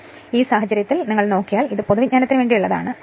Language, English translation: Malayalam, So, in this case if you look into this that just for your general knowledge